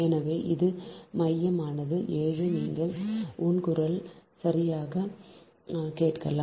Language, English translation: Tamil, so this is central is seven, you can hear my voice, right